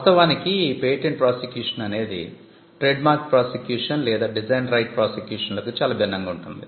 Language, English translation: Telugu, Patent prosecution actually is different from a trademark prosecution or design right prosecution